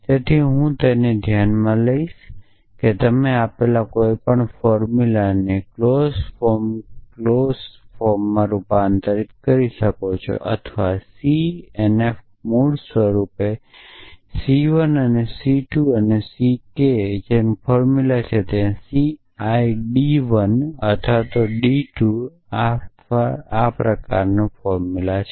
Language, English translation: Gujarati, So, I will take it for granted that you can convert any given formula into clause form clause form or C n f is basically a formula of the kind C 1 and C 2 and C k where C I is of the form d 1 or d 2 or d r